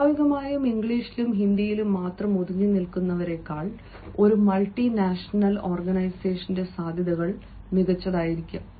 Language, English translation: Malayalam, naturally he chances in a multinational organization will be better than those who are simply confined to english and hindi